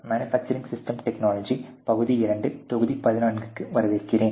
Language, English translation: Tamil, Hello and welcome to this manufacturing systems technology part 2 module 14